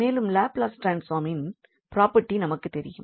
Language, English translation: Tamil, So, that will be the product of the Laplace transform